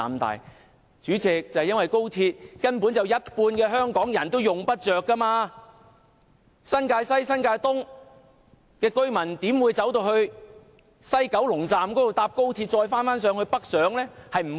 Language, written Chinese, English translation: Cantonese, 代理主席，因為有一半港人根本用不着高鐵，新界西及新界東的居民不會前往西九龍站，再乘搭高鐵北上。, Deputy President the reason is that half of the Hong Kong population will simply not take XRL trains . Residents of the New Territories West and New Territories East will not travel to the West Kowloon Station to take an XRL train travelling northward